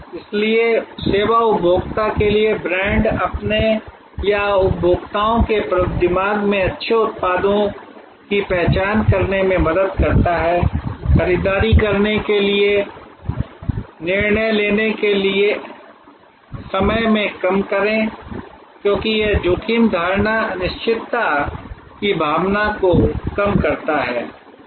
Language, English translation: Hindi, So, to the service consumer, brand helps to identify good products in his or in the consumers mind, reduce the decision making time to make the purchase, because it reduces the risk perception, the sense of uncertainty